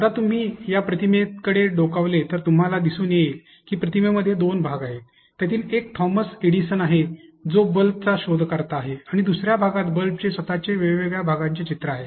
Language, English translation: Marathi, Now, if you look into the image you see that the image consists of two parts, one has a picture of Thomas Edison, who is the inventor of the bulb and the other part has a picture of the bulb itself with different paths